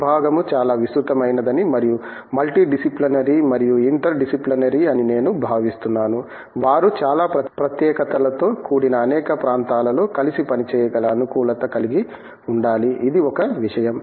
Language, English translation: Telugu, I do feel that the branch is so broad based and so multidisciplinary and interdisciplinary, the adaptability with which they can go and work in so many wild areas of specialties, that is one thing